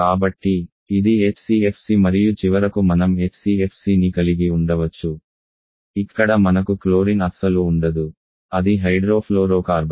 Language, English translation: Telugu, So it is HCFC and finally we can have HFC where we do not have chlorine at all, it is hydrofluorocarbon